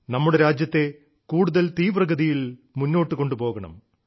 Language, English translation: Malayalam, We have to take our country forward at a faster pace